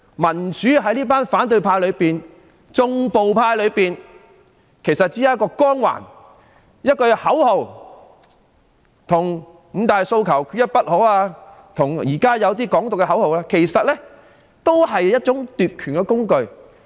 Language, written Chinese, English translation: Cantonese, 民主於這群反對派而言，也只不過是一個光環、一句口號，與"五大訴求，缺一不可"及現時一些提倡"港獨"的口號無異，只是一種奪權的工具。, To this group of people from the opposition camp democracy means nothing more than a halo or a slogan which is no different from slogans like Five demands not one less and some of the current slogans advocating Independence of Hong Kong which merely serves as a tool for them to seize power